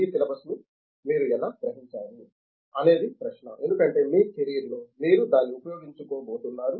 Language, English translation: Telugu, How you have comprehended this syllabus is the question because that is what you are going to make use of in your career